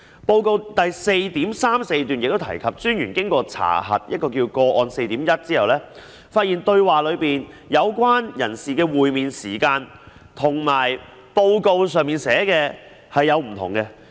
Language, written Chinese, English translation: Cantonese, 報告第 4.34 段提及，專員經查核個案 4.1 後，發現通話中有關人士的會面時間和報告所寫有出入。, Paragraph 4.34 of the report states that having checked case 4.1 the Commissioner found a discrepancy between the meeting time mentioned in the call and that stated in the report